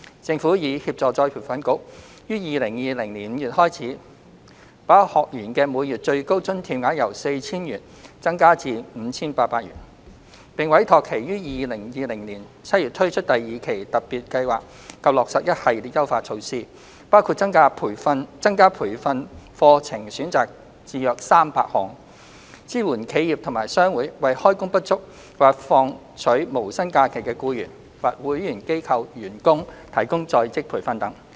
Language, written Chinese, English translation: Cantonese, 政府已協助再培訓局於2020年5月開始，把學員的每月最高津貼額由 4,000 元增加至 5,800 元；並委託其於2020年7月推出第二期特別計劃及落實一系列優化措施，包括增加培訓課程選擇至約300項，支援企業及商會為開工不足或放取無薪假期的僱員或會員機構員工提供在職培訓等。, The Government has assisted ERB in raising the maximum amount of the monthly allowance per trainee from 4,000 to 5,800 starting from May 2020 and tasked it to launch Phase 2 of the Special Scheme and introduce a series of enhancements in July 2020 including increasing the number of training courses to about 300 as well as supporting enterprises and trade associations in arranging their employees or staff of member companies who are underemployed or taking no - pay leave to attend courses under this Special Scheme etc